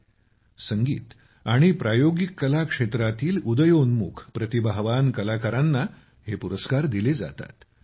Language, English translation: Marathi, These awards were given away to emerging, talented artists in the field of music and performing arts